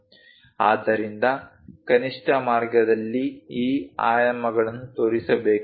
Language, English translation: Kannada, So, minimalistic way one has to show these dimensions